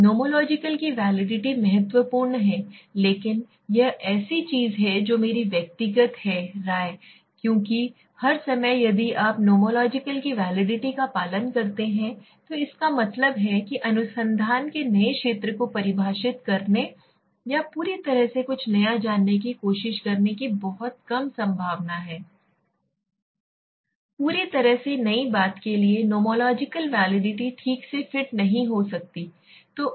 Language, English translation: Hindi, Nomological validity is important but this is something which is my personal opinion because all the time if you follow the nomological validity, then that means there is a very less chance of defining the new area of research or trying to find out something entirely new thing for entirely new thing nomological validity might not fit properly okay